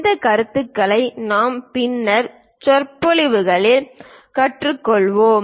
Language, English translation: Tamil, These views we will learn in the later lectures